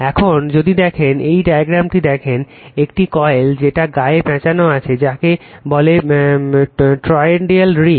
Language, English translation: Bengali, Now, if you look into this if you look into this diagram, this is the coil wound on this you are what you call on this toroidal ring